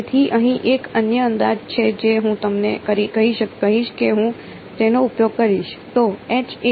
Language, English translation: Gujarati, So, here is another approximation that I will tell you I mean that I will use